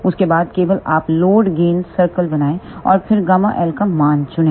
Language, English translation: Hindi, After that only you draw the load gain circle and then choose the value of gamma l